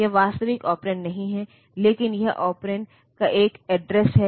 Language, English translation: Hindi, That is not the actual operand, but that is an address of the operand